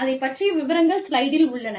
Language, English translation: Tamil, And, the details are, on the slide